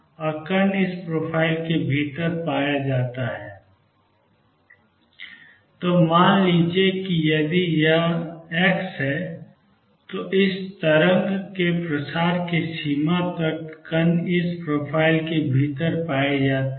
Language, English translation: Hindi, And particle is to be found within this profile; so let say if this is delta x, the extent of this wave spreading then particle is found to be found within this profile